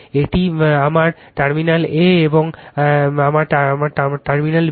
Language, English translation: Bengali, This is my terminal A and this is my B